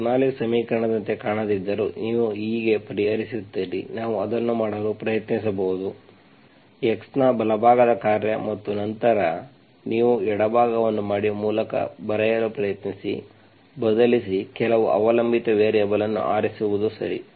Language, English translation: Kannada, This is how you solve, even if it does not look like Bernoulli s equation, we can try making it, right hand side function of x and then, and then you make the left hand side, try to write by, replace, by choosing some dependent variable, okay